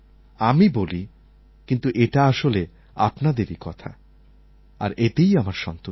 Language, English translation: Bengali, I speak, but the words are yours and this gives me immense satisfaction